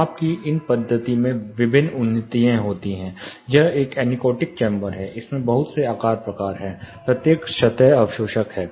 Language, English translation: Hindi, There are various advancements in these method of measurement, this is a anechoic chamber for your information, it has a lot of wedged shaped each one is on absorbing surface